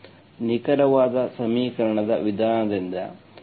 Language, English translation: Kannada, Okay, by the exact equation method